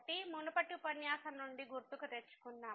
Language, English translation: Telugu, So, let me just recall from the previous lecture